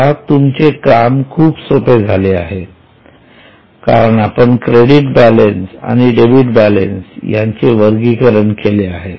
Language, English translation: Marathi, See now your work is very simple because we have separated credit balances and debit balances